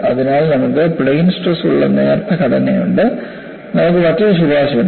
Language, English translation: Malayalam, So, you have thin structures which are under plane stress; you have a different recommendation